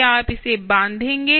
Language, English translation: Hindi, will you bond it